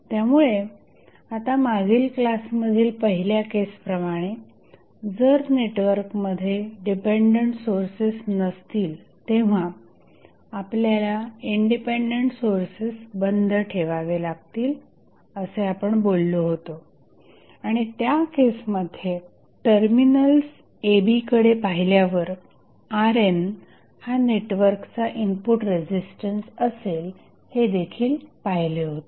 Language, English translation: Marathi, So, now, in case 1 in the last class we discuss if the network has no dependence source, then what we have to do we have to turn off all the independent sources and in that case R n would be the input resistance of the network looking between the terminals A and B